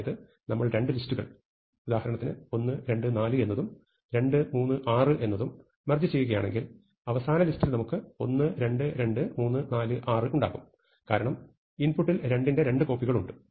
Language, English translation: Malayalam, So, if we merge two lists such, let us say 1, 2, 4 and 2, 3, 6 then in our final thing, we will have 2 copies of 2, because there are 2 copies and then 3, 4, 6